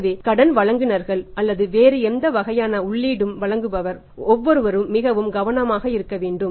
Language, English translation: Tamil, So, every where people who are the suppliers of credit or any other kind of input have to be very, very careful